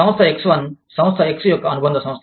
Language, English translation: Telugu, Firm X1, is a subsidiary of, Firm X